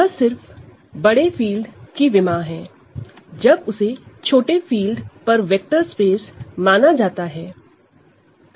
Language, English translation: Hindi, This is just the dimension of the bigger field when it is considered as a vector space over the smaller field